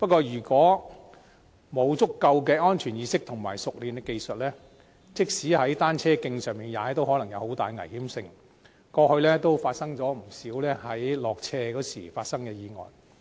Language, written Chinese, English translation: Cantonese, 如果沒有足夠的安全意識和熟練的技術，即使是在單車徑上踏單車，也可能有很大危險性，過去亦曾發生不少單車落斜時的意外。, Without an adequate safety awareness and skillful techniques it can also be dangerous to cycle on cycle tracks . Over the years many bicycle accidents have occurred in the course of descending a slope